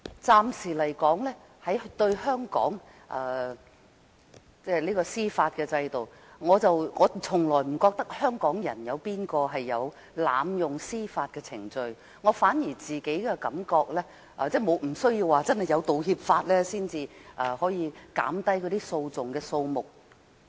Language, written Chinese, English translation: Cantonese, 暫時來說，在香港的司法制度下，我從來不覺得有任何香港人會濫用司法程序；我反而覺得，不需要有《條例草案》才可以減低訴訟的數目。, For the time being I do not think any Hong Kong people has made use of the local legal system to abuse the judicial proceedings . On the contrary the reduction of the number of lawsuits is achievable even without the introduction of the Bill